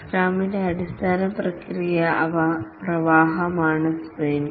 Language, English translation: Malayalam, The sprint is the fundamental process flow of scrum